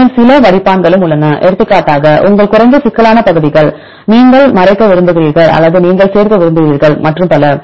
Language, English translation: Tamil, Then also there are some filters for example, your low complexity regions, you want to mask or you want include and so on